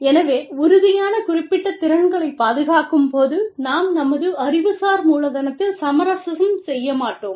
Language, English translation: Tamil, And so, while protecting firm specific skills, we do not really, we do not compromise, on our intellectual capital